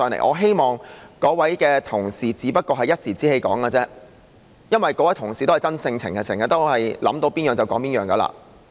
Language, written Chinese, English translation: Cantonese, 我希望那位同事這樣說只是一時之氣，因為那位同事是個真性情的人，經常都是想到甚麼便說甚麼。, I hope that Honourable colleague said so just in a fit of temper for that Honourable colleague is a straightforward person and often just speaks whatever comes to her mind